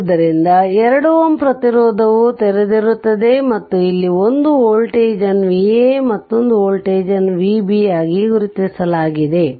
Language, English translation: Kannada, So, it will be open 2 ohm resistance is open, and we have marked one voltage here V a another voltage is V b